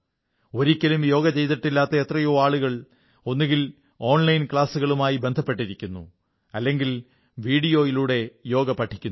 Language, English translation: Malayalam, Many people, who have never practiced yoga, have either joined online yoga classes or are also learning yoga through online videos